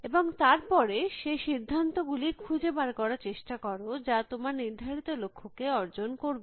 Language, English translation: Bengali, And then try to find those decisions, which will achieve the goal that you are aiming at